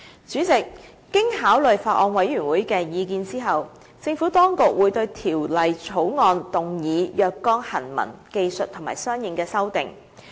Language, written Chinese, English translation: Cantonese, 主席，經考慮法案委員會的意見後，政府當局會對《條例草案》動議若干行文、技術和相應的修訂。, President after considering the views of the Bills Committee the Administration will propose some textual technical and consequential amendments to the Bill